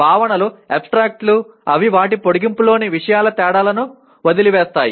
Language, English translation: Telugu, Concepts are abstracts in that they omit the differences of the things in their extension